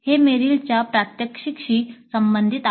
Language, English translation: Marathi, This corresponds to the demonstrate of Merrill